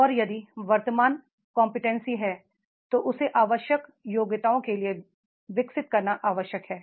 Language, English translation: Hindi, And if the present competency is there, then he is required to develop for the required competency